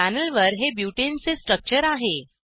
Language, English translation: Marathi, This is the structure of butane on the panel